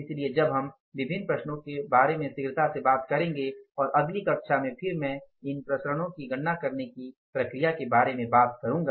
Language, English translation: Hindi, So, now we will talk about the different variances quickly and in the next class I will then talking about the say, means the process that how to calculate these variances